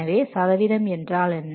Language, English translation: Tamil, So next is the percentage complete